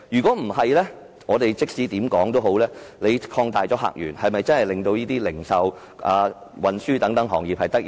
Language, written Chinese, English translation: Cantonese, 否則，即使我們能擴大客源，又是否真的能令零售和運輸等行業得益呢？, Otherwise even if we can open up new visitor sources can the retail and transport industries etc . be benefited?